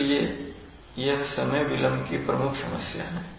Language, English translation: Hindi, So this is the major problem of time delay, but before that